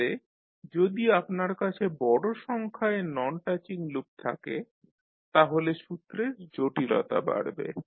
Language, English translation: Bengali, So, if you have larger number of non touching loops the complex of the formula will increase